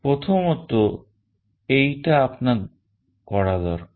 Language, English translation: Bengali, This is the first thing you need to do